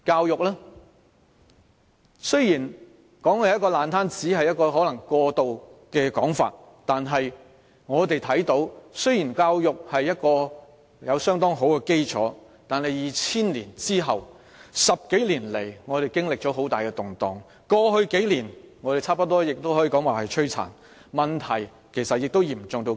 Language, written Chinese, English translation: Cantonese, 然而，我們看到的是即使我們的教育有相當好的基礎，但自2000年後的10多年來，我們經歷了很大的動盪。過去數年，我們幾乎可說是飽受摧殘，問題其實已嚴重之至。, However we have seen that despite the fairly good foundation in our education we have experienced a huge turmoil over the past decade of so since 2000 and I would say that we have almost been devastated over the past few years and the problem has actually become most acute